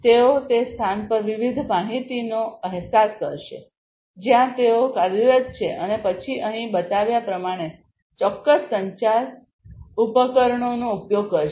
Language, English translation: Gujarati, They will sense different information in the place where they are operating and then using certain communication devices like the ones shown over here